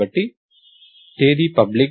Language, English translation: Telugu, So, Date is public